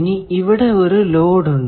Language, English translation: Malayalam, Now, there is a load